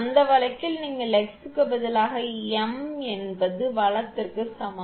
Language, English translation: Tamil, You substitute in that case x is equal to m right